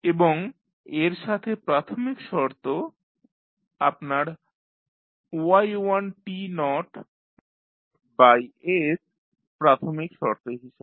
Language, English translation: Bengali, And, plus the initial condition you have for y1 t naught by s and then for y we have yt naught by s as a initial condition